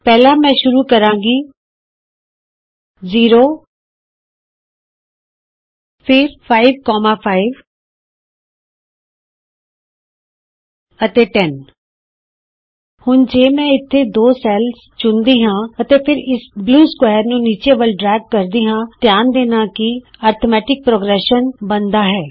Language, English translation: Punjabi, First I will start with 0, then 5, 5 and 10 Now if I select the two cells here and then drag this blue square all the way down, notice an arithmetic progression is created